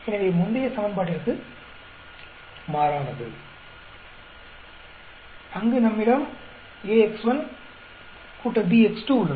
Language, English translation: Tamil, So, on the contrary to the previous equation, where we have ax1 plus bx2